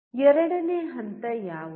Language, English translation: Kannada, What is the second step